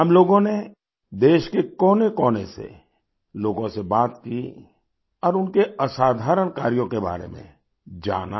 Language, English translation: Hindi, We spoke to people across each and every corner of the country and learnt about their extraordinary work